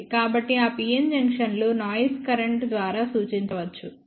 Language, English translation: Telugu, So, those pn junctions can be then represented by noise current